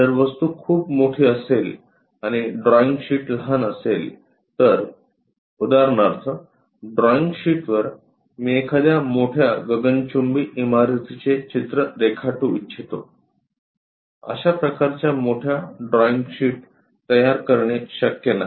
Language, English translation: Marathi, If the object is very large and the drawing sheet is small for example, like I would like to represent a big skyscraper on a drawing sheet it is not possible to construct such kind of big drawing sheets